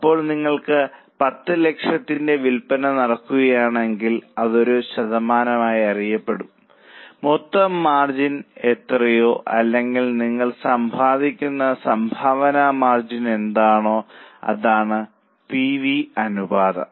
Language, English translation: Malayalam, So, we know as a percentage, suppose you have a sale of 10 lakhs, what is a gross margin or what is a contribution margin you are earning, that is the PV ratio